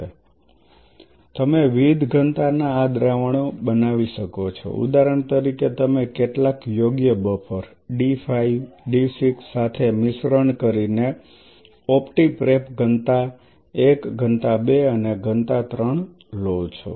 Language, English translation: Gujarati, So, you can make these solutions of different densities say for example, you take opti prep density 1 density 2 density 3 by mixing it with some suitable buffer D 5 D 6